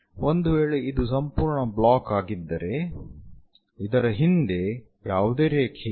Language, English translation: Kannada, If it is a complete block, there is no line behind that